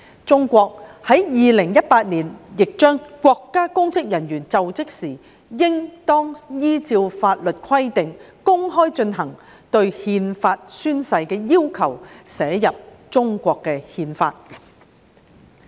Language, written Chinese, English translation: Cantonese, 中國在2018年亦將國家公職人員就職時應當依照法律規定公開進行憲法宣誓的要求，寫入中國憲法。, In China the requirement for its public officers to make a public pledge of allegiance to the Constitution in accordance with the provisions of law when assuming office was included in the Constitution of China in 2018